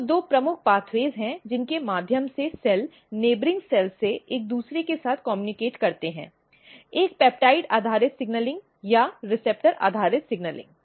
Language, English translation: Hindi, So, there are two major pathways through which cell communicate with each other from the neighboring cell, one is basically signaling which is peptide based signaling or receptor based signaling